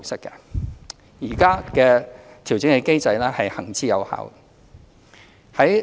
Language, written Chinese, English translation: Cantonese, 現行的調整機制行之有效。, The current adjustment mechanism is proven